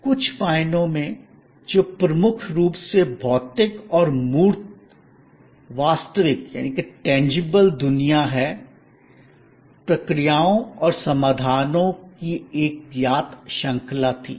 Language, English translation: Hindi, In certain ways that dominantly physical and tangible world was a known series of processes and solutions